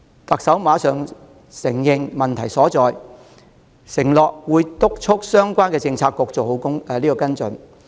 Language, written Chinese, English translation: Cantonese, 特首馬上承認確有問題，並承諾會督促相關政策局做好跟進。, The Chief Executive acknowledged the problem readily and pledged to urge the relevant Policy Bureau to follow up on the matter properly